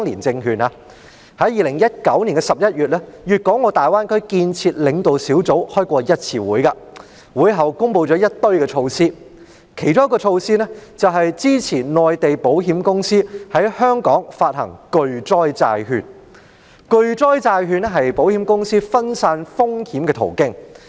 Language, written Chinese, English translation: Cantonese, 在2019年11月，粵港澳大灣區建設領導小組曾舉行一次會議，會後，中央政府公布了一連串的措施，其中一項措施是支持內地保險公司在香港發行巨災債券，而巨災債券是保險公司分散風險的途徑。, In November 2019 the Leading Group for the Development of the Guangdong - Hong Kong - Macao Greater Bay Area held a meeting . After the meeting the Central Government announced a series of measures among which one measure is supporting Mainland insurers to issue in Hong Kong catastrophe bonds which provide a way for insurers to diversify risks